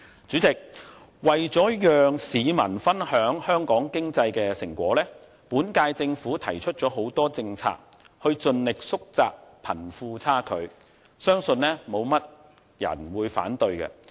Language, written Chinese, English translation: Cantonese, 主席，為了讓市民分享香港經濟的成果，現屆政府提出了很多政策，以盡力縮窄貧富差距，相信沒有多少人會反對。, President in order to share the fruit of Hong Kongs economic development with the public the current - term Government has proposed a number of policies to narrow the wealth gap . I believe very few people will oppose that